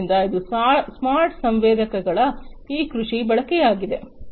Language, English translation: Kannada, So, this is this agricultural use of smart sensors